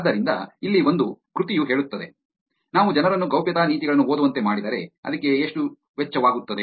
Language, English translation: Kannada, So, here is one piece of work which says, if we were to make people read privacy policies, what it would it cost